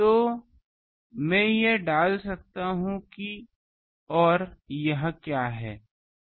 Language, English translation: Hindi, So, I can put these and what is this